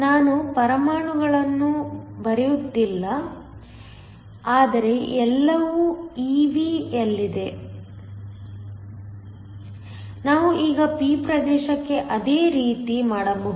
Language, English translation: Kannada, I am just not writing the units, but everything is in eV, we can now do the same for the p region